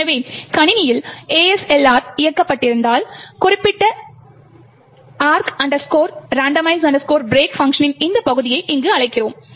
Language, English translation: Tamil, So, if ASLR is enabled on the system we invoke this part particular function arch randomize break which essentially is present here